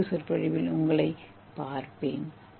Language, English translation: Tamil, I will see you in another lecture